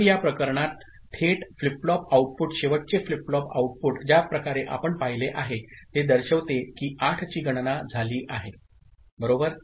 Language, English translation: Marathi, So, in this case the flip flop output directly, the last flip flop output the way we have seen it, itself indicates the count of 8 has taken place, right